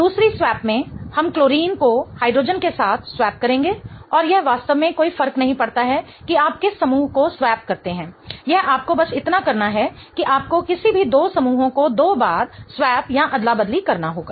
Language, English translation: Hindi, In the second swap we will swap the chlorine with hydrogen and it doesn't really matter which groups you swap